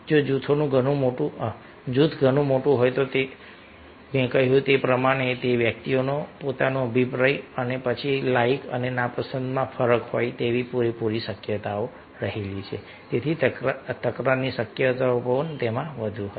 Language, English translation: Gujarati, if the group is very large then, as i mention that, there is quite possible that everybody will be having his or her opinion and the difference is and then like and disliking, so chances of conflicts will be more